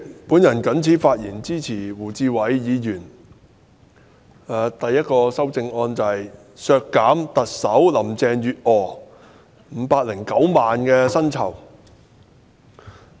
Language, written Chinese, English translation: Cantonese, 主席，我發言支持胡志偉議員提出編號1的修正案，削減特首林鄭月娥509萬元的全年薪酬開支。, Chairman I rise to speak in support of Amendment No . 1 proposed by Mr WU Chi - wai to delete the expenditure of 5.09 million for paying the annual salaries of Chief Executive Carrie LAM